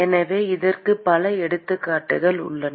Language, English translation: Tamil, So, there are several examples of this